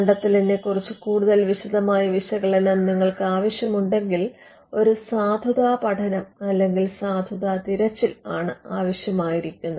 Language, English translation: Malayalam, If you require a more detailed analysis of the invention, then what is needed is what we called a validity search or a validity study